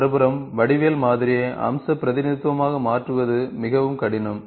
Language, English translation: Tamil, On the other hand, to transform the geometric model into a feature representation is very, very difficult